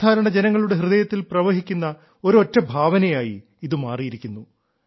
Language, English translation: Malayalam, Today it has become a sentiment, flowing in the hearts of common folk